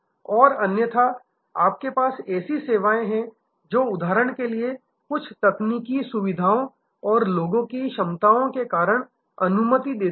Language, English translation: Hindi, And otherwise, you have services which for example, allow because of certain technical facilities and people capabilities